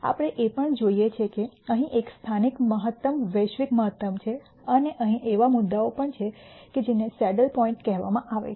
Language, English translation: Gujarati, We also see that there is a local maximum here a global maximum here and there are also points such as these which are called the saddle points